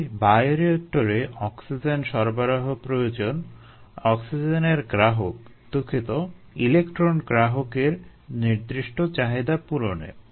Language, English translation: Bengali, so oxygen needs to be supplied to bioreactors to satisfy that particular ah need of the oxygen acceptor, oh, sorry, the electron acceptor